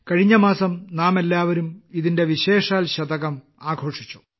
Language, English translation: Malayalam, Last month all of us have celebrated the special century